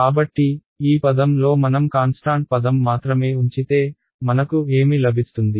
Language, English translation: Telugu, So, in this term if I keep only the constant term what will I get